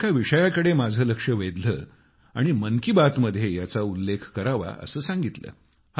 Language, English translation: Marathi, She has drawn my attention to a subject and urged me to mention it in 'Man kiBaat'